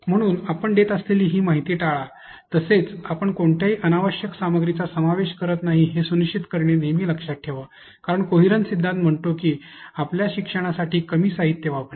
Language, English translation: Marathi, So, always remember to avoid these information that you are putting and always remember to make sure that you are not including any unnecessarily material because the principle of coherence says that use less materials for better learning